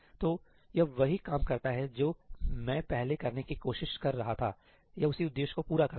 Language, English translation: Hindi, So, that does the same work that I was trying to do earlier, it serves the same purpose